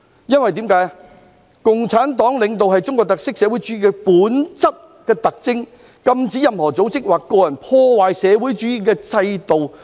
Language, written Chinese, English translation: Cantonese, 因為"中國共產黨領導是中國特色社會主義最本質的特徵，禁止任何組織或者個人破壞社會主義制度。, Because Leadership by the Communist Party of China is the defining feature of socialism with Chinese characteristics . It is prohibited for any organization or individual to damage the socialist system